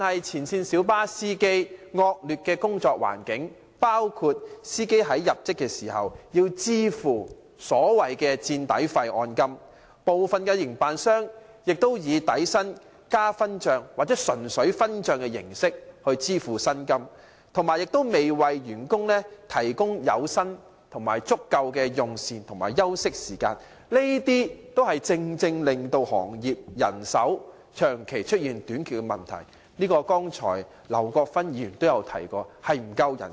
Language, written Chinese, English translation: Cantonese, 前線小巴司機的工作環境惡劣，在入職時要支付所謂的"墊底費"按金，部分營辦商以底薪加分帳，或純粹分帳的形式來支付他們的薪酬，亦未有為他們提供足夠的有薪用膳及休息時間，這些正正是行業人手長期短缺的原因，這問題剛才劉國勳議員也提過。, The working environment of frontline light bus drivers is poor and they have to pay the so - called insurance excess upon employment; some operators pay their drivers on the basis of basic salary plus revenue sharing or solely revenue sharing and they also do not provide sufficient paid meal break and rest time for drivers . These are precisely the causes of manpower shortage of the trade and such problems have already been mentioned by Mr LAU Kwok - fan earlier